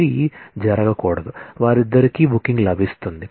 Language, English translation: Telugu, It should not happen, that both of them get the booking